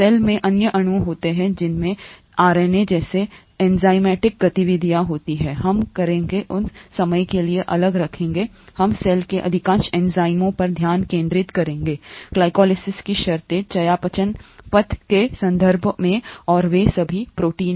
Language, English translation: Hindi, There are other molecules in the cell that have enzymatic activities such as RNA, we will keep that aside for the time being, we’ll just focus on the majority of enzymes in the cell in terms of glycolysis, in terms of metabolic pathways and they are all proteins